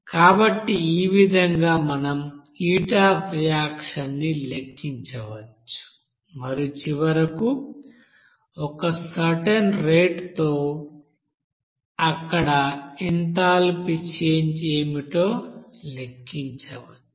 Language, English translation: Telugu, So in this way we can calculate that heat of reaction and then you know finally, at a certain rate what should be the you know enthalpy change there